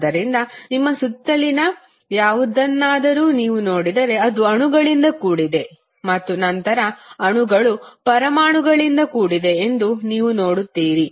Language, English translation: Kannada, So, if you see anything around you, you will see it is composed of molecules and then molecules are composed of atoms